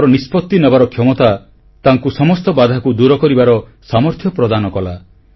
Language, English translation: Odia, His decision making ability infused in him the strength to overcome all obstacles